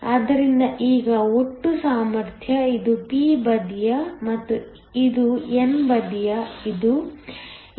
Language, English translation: Kannada, So that, now the total potential, this is the p side and this is the n side, this is eVo + Vext